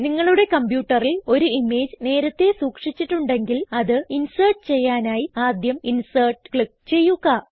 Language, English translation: Malayalam, If an image is already stored on your computer, you can insert it by first clicking on Insert and then Picture and selecting From File